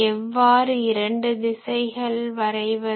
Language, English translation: Tamil, How I draw this two direction